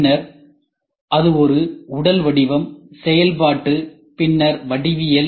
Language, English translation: Tamil, Then it is a physical form then functional then geometry